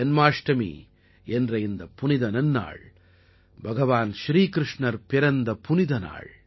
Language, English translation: Tamil, This festival of Janmashtami, that is the festival of birth of Bhagwan Shri Krishna